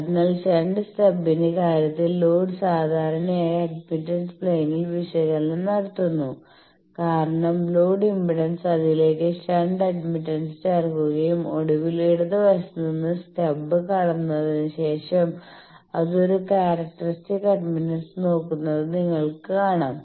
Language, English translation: Malayalam, So, the load in case of shunt stub generally we carry the analysis in admittance plane because load impedance after coming to transmission line you come to a new admittance which we are calling Y and then you are adding the shunts admittance to that and then finally, after you cross the stub from the left end you can see it should look at a characteristic admittance